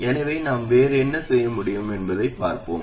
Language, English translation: Tamil, So let's see what else we can do